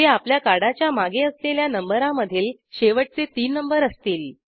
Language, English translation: Marathi, Which is the three digit number last three digits at the back of your card